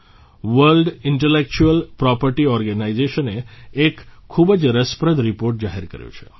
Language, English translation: Gujarati, The World Intellectual Property Organization has released a very interesting report